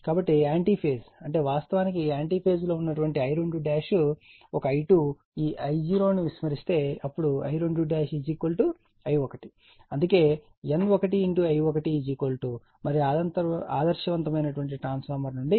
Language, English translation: Telugu, So, just in anti phase that means, I 2 dash an I 2 actually in anti phase is this I 0 is neglected then then I 2 dash is equal to your I 1 that is why I wrote N 1 I 1 is equal to and from an ideal transformer, right